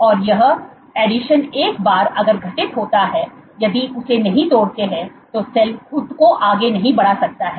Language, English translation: Hindi, That is your additions once formed if they do not break then the cell cannot propel itself forward